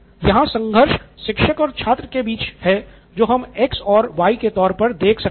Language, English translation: Hindi, Now the conflict is between the teacher and the student so that’s what we are looking at from on this x and y